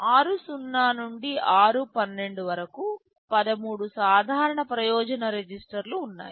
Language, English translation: Telugu, There are 13 general purpose registers r 0 to r12